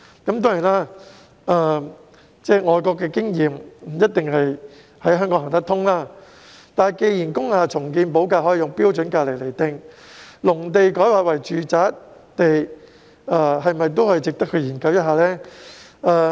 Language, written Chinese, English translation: Cantonese, 當然，外國的經驗在香港不一定行得通，但既然工廈重建補地價可用"標準金額"來釐定，那麼農地改劃為住宅用地是否也可以參考這種做法？, The premium will be clearly set out . Of course overseas experiences are not necessarily applicable to Hong Kong . However as land premium for the redevelopment of industrial buildings can be determined using standard rates can we draw reference from this approach in the case of conversion of agricultural land into residential land?